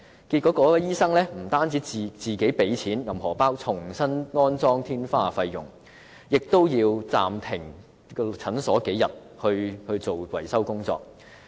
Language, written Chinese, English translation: Cantonese, 結果該名醫生不但要自資重新安裝天花的費用，診所也要暫停營業數天，進行維修工作。, Consequently the medical practitioner had to dig into his own pocket to pay for the restoration of the ceiling . Moreover his clinic had to be closed for business temporarily for a couple of days for the repairs to be carried out